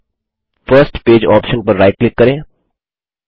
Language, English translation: Hindi, Then right click on the First Page option